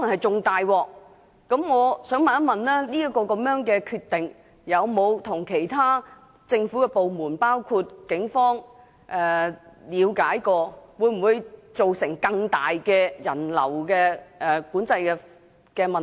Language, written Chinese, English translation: Cantonese, 請問康文署有否就這決定與其他政府部門商討，以了解會否造成更大的人流管制問題？, As the entire area of Causeway Bay may be paralyzed by then the situation may become even worse in that case